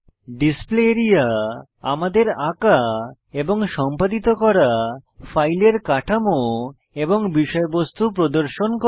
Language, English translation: Bengali, Display area shows the structures and the contents of the file that we draw and edit